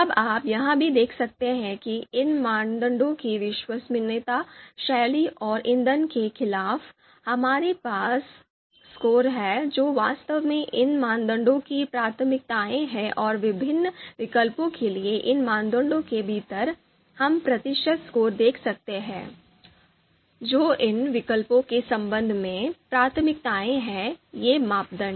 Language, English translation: Hindi, Now you can also see that against you know these criteria reliability, style and fuel, we have these you know these scores which are actually the priorities for these criteria and you know within these criteria for different alternatives, we can see the these percentage scores, so which are the you know priorities for these alternatives with respect to these criteria